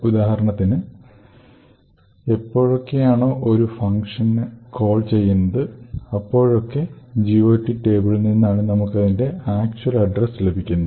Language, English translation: Malayalam, So, for example every time there is call to a function, we could get the actual address for that particular function from the GOT table